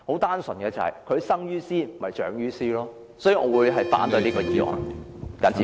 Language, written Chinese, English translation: Cantonese, 單純基於他們生於斯長於斯，我反對這項議案。, Simply because they are born and live here I am against this motion